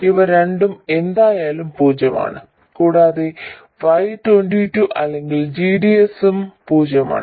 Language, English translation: Malayalam, These two are anyway 0 and Y22 are GDS is also 0